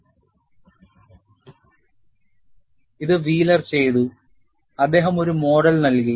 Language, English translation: Malayalam, And this is done by Wheeler and he has given a model